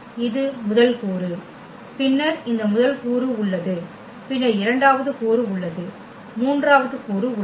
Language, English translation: Tamil, This is the first component then we have we have a this first component and then we have the second component, we have the third component